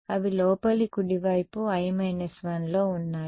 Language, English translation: Telugu, They are on the interior right i minus 1